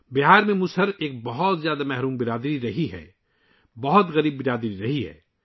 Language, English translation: Urdu, Musahar has been a very deprived community in Bihar; a very poor community